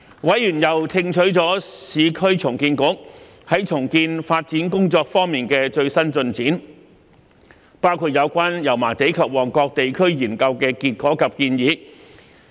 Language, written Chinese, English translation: Cantonese, 委員又聽取了市區重建局重建發展工作的最新進展，包括有關油麻地及旺角地區研究的結果及建議。, Members also received a briefing by the Urban Renewal Authority on the latest progress of its redevelopment work including the findings and recommendations of the District Study for Yau Ma Tei and Mong Kok